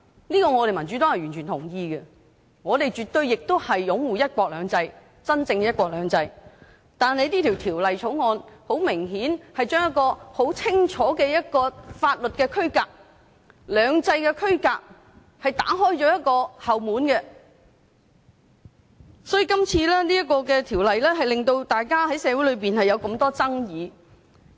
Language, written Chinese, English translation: Cantonese, 這點民主黨是完全認同的，我們也絕對擁護真正的"一國兩制"，但《條例草案》很明顯地在一個很清晰的法律區隔、兩制的區隔上打開了後門，所以今次這項《條例草案》在社會上引起很多爭議。, The Democratic Party totally agrees with this point and we also absolutely support genuine one country two systems but it is evident that the Bill has created a backdoor in a very clear legal demarcation or the demarcation between the two systems . For this reason the Bill has aroused a great controversy in society